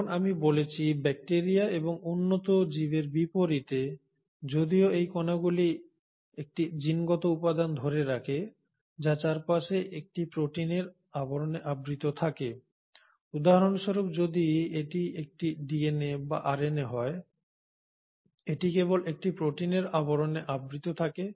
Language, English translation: Bengali, And as I mentioned unlike bacteria and higher organisms, though these particles retain a genetic material which is surrounded by a protein coat, for example if this is a DNA or it can be RNA, it is just encapsulated in a protein coat